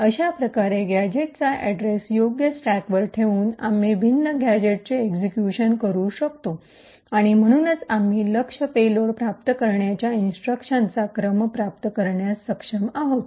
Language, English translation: Marathi, In this way by appropriately placing address of gadgets on the stack, we are able to execute the different gadgets and therefore we are able to achieve the sequence of instructions that a target payload had to achieve